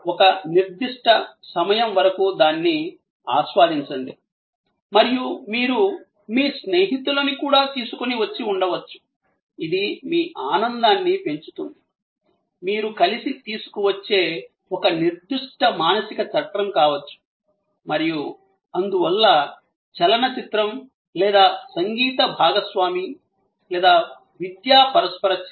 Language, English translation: Telugu, For a certain time, enjoying it and you are bringing also may be your friends, which enhances your enjoyment, maybe certain mental framework that you are bringing together and therefore, the movie or a music consort or an educational interaction in all these cases therefore, you are not looking for buying the movie hall